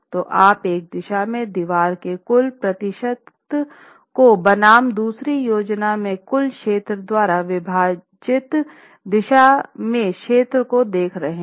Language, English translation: Hindi, So, looking at total percentage of wall resisting area in one direction versus another direction divided by the total plan area of the building in all the floors